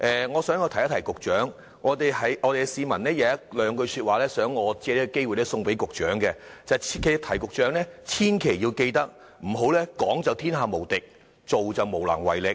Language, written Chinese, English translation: Cantonese, 我想告訴局長，有市民有兩句說話，想我藉此機會送給局長，他叫我切記要提醒局長，千萬不要"講就天下無敵，做就無能為力"。, I would like to tell the Secretary that I have been requested by a member of the public to take this opportunity to convey his message to the Secretary and advise him against being all powerful in words but powerless in action